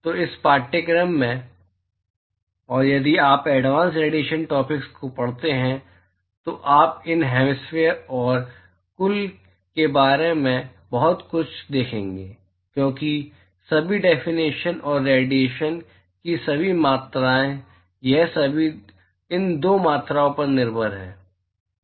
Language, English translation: Hindi, So in this course, and also if you happen to read advance radiation topics, you will see a lot about these hemispherical and total, because all the definitions and all the quantitation of radiation, they are all dependent upon these 2 quantities